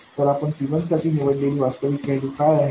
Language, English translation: Marathi, So, what is the actual value that you choose for C1